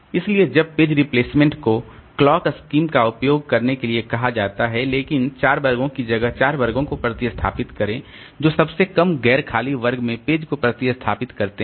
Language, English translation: Hindi, So when page replacement is called for, use the clock scheme but use the four classes replace, four classes replace page in the lowest non empty class